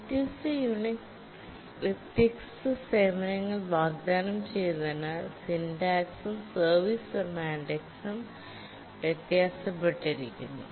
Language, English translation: Malayalam, Because the syntax and the service semantics differed, the different Unix version offered different services